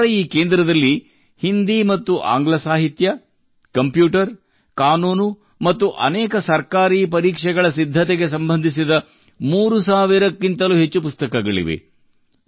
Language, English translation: Kannada, , His centre has more than 3000 books related to Hindi and English literature, computer, law and preparing for many government exams